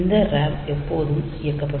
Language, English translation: Tamil, So, this RAM is always enabled